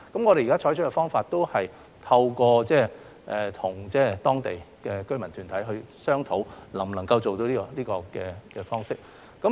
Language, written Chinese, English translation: Cantonese, 我們現在採取的方法是透過與當地的居民團體商討，看看這個方式是否做得到。, Our present approach is to negotiate with local resident groups and we will see whether it works